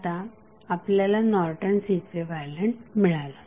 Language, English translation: Marathi, So, you get the Norton's equivalent of the circuit